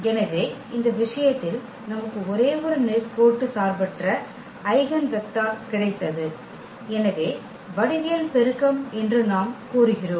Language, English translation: Tamil, So, in this case we got only one linearly independent eigenvector and therefore, we say that the geometric multiplicity